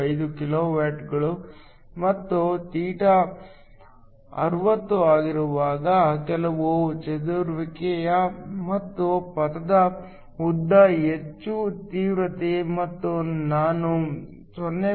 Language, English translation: Kannada, 925 kilowatts per centimeter square and when θ is 60 so there is some scattering and the path length is more, the intensity I is lower it is around 0